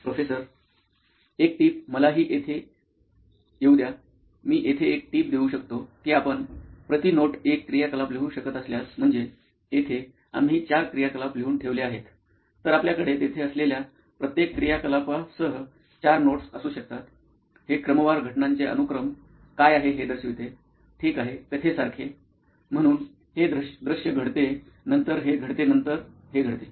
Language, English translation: Marathi, One tip, let me but in here; One tip I can offer here is that if you can write down one activity per note, that; I mean here you have written down four activities, so you can have four notes with each activity there; It sort of lays out what the sequence of events is, ok like a story, so this scene happens then this happens then this happen